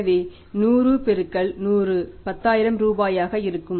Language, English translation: Tamil, So, 100 into 100 will be 10,000 rupees